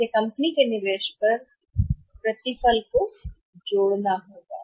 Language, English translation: Hindi, So, that will be adding up on the return on investment of the company